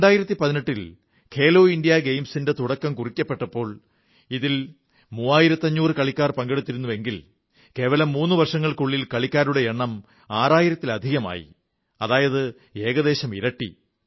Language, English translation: Malayalam, I wish to tell all of you that in 2018, when 'Khelo India Games' were instituted, thirtyfive hundred players took part, but in just three years the number of players has increased to more than 6 thousand, which translates to the fact that it has almost doubled